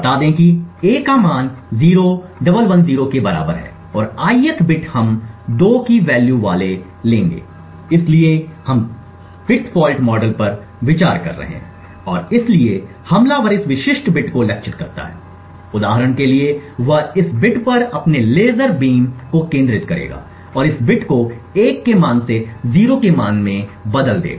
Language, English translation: Hindi, Let us say that the value of a is equal to say 0110 and the ith bit we will take i to be having a value of 2 so we considering the bit fault model and therefore the attacker targets this specific bit for example he would focus his laser beam on this bit and change this bit from a value of 1 to a faulty value of 0